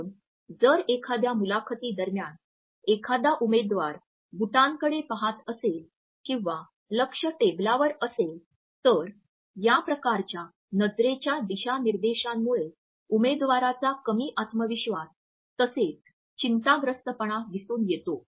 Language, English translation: Marathi, So, if a candidate during an interview looks down at the shoes or focus is on the table, then these type of gaze directions convey a lack of confidence less prepared candidate as well as a nervousness on his or her part